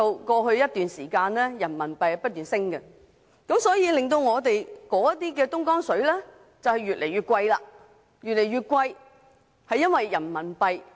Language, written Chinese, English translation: Cantonese, 過去一段時間，人民幣不斷升值，以致我們購買的東江水越來越貴。, As RMB has been appreciating for a period of time in the past the Dongjiang water we have been purchasing has become more and more expensive